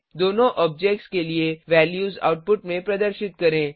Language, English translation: Hindi, Display the values for both the objects in the output